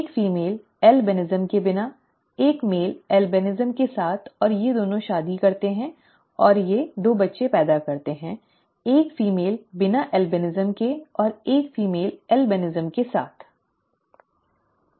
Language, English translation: Hindi, A female without albinism, a male with albinism, a male with albinism and a male without albinism, and these 2 marry and they produce 2 children, a female without albinism and a female with albinism, okay